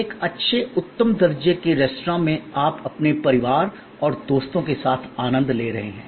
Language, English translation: Hindi, Your visit to a good classy restaurant and you are enjoyment with your family and friends